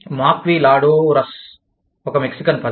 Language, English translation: Telugu, Maquiladoras is a Mexican term